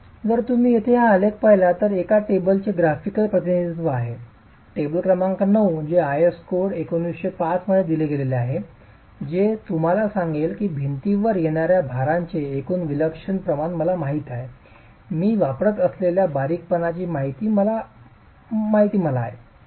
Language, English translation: Marathi, So if you look at this graph here, this is the tabula, this is the graphical representation of a table, table number 9, which is given in the IS code, I has 1905, which will tell you, okay, I know the total eccentricity ratio of the loads coming onto the wall, I know the slenderness that I am going to be adopting